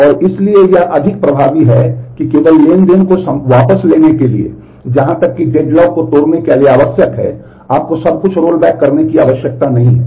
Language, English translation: Hindi, And so it is be more effective to roll back transaction only as far as necessary to break the deadlock, you may not need to roll back everything